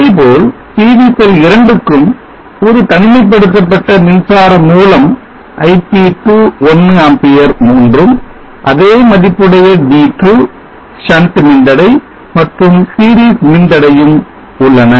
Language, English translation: Tamil, Likewise for PV cell 2 there is an insulation current source ip 2 one amp same value D2 and R shunt and R series connect the picture